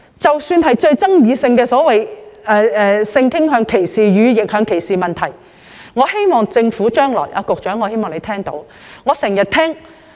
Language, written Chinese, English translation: Cantonese, 關於極具爭議性的性傾向歧視及逆向歧視問題，我希望局長聽到我的意見。, With regard to the highly controversial issue of discrimination against sexual orientation and reverse discrimination I hope that the Secretary has heard my views